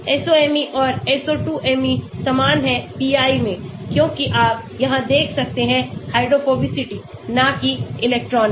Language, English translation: Hindi, SOMe and SO2Me are similar in pi as you can see here hydrophobicity not electronic